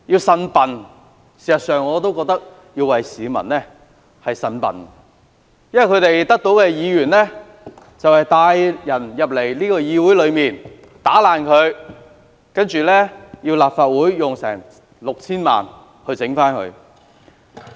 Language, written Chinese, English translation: Cantonese, 事實上，我亦要替市民"呻笨"，因為他們選出的議員帶人進入議會，損毀設施，令立法會需要花 6,000 萬元進行維修。, In fact I also want to complain on behalf of members of the public for a Member elected by them led people into the legislature and vandalized the facilities therein . The Legislative Council thus needed to spend some 60 million on repair works